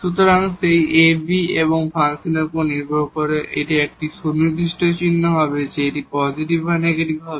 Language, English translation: Bengali, So, depending on that ab and the function but it will be a definite sign whether it will be positive or negative